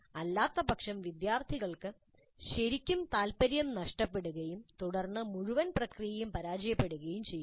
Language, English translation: Malayalam, Otherwise the students really might get turned off lose interest and then the whole process would be a failure